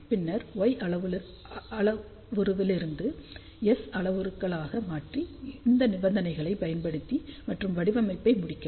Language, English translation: Tamil, So, find the equivalent Y parameter then from Y parameter converted to S parameters, apply these conditions and then complete the design